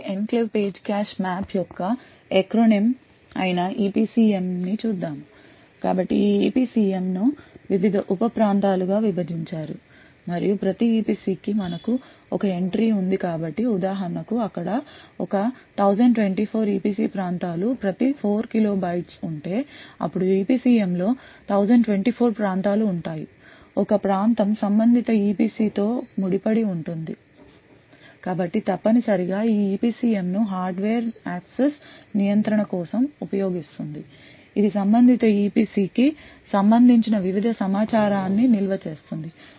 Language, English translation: Telugu, So let us look at the EPCM which is the acronym for Enclave Page Cache Map so this EPCM is further divided into various sub regions and we have one entry for each EPC so for example if there say a 1024 EPC regions each of 4 kilo bytes then there would be 1024 regions in the EPCM, one region is associated with a corresponding EPC so essentially this EPCM is used by the hardware for access control it stores various information related to the corresponding EPC so for example this particular EPC would have a corresponding EPCM entry which stores aspects such as the validity or of that particular EPC the read write execute permissions for this EPC for example if there is code present over here you would have that particular code as executable and not writeable